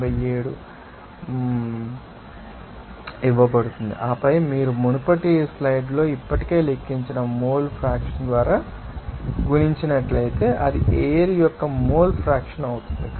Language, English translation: Telugu, 87 as per this calculation, and then if you multiply it by that mole fraction, that already we have calculated in the previous slides, that will be the mole fraction of air is coming